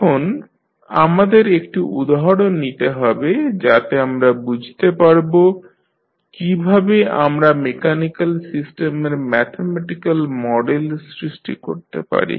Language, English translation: Bengali, Now, let us take one example so that we can understand how we will create the mathematical model of mechanical system